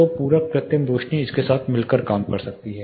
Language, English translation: Hindi, So, supplementary artificial lights can you know act in tandem with this